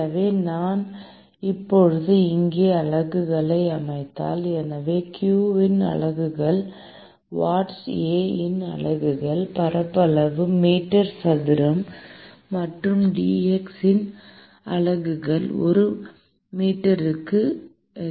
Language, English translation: Tamil, So, if I now set the units here: so the units of q is watts, units of A is area is meter square, and the units of dT by dx is Kelvin per meter